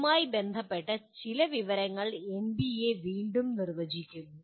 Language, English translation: Malayalam, There is some information related to which is again defined by NBA